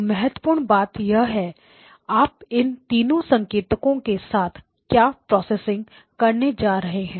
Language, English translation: Hindi, So the important thing is the; what you are going to do with the processing that we are going to do with these three signals